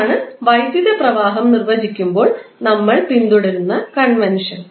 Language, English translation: Malayalam, So, that is the convention we follow when we define the electric current